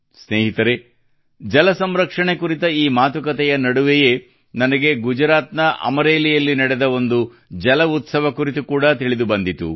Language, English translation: Kannada, Friends, amidst such discussions on water conservation; I also came to know about the 'JalUtsav' held in Amreli, Gujarat